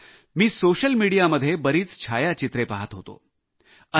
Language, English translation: Marathi, Similarly I was observing numerous photographs on social media